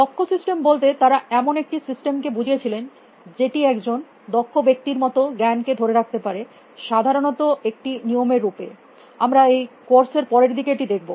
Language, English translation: Bengali, By expert systems they meant a system, which will capture the knowledge of an expert typically, in a roof form we will see this later in the course